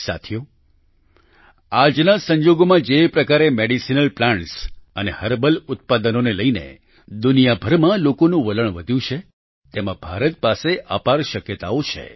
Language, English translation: Gujarati, Friends, in the current context, with the trend of people around the world regarding medicinal plants and herbal products increasing, India has immense potential